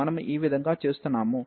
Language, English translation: Telugu, So, this is how we are doing